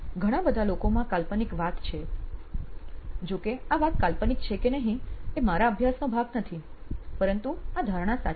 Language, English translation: Gujarati, A lot of people who have this myth going around whereas, a myth or not is not part of my study but the perception is true